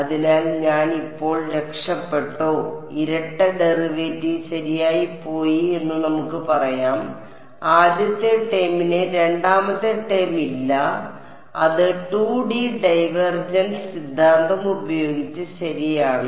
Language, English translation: Malayalam, So, have I now escaped let us say double derivative gone right the first term does not have it the second term by using the 2D divergence theorem that is also gone right